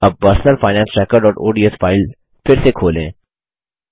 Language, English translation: Hindi, Now open the Personal Finance Tracker.ods file again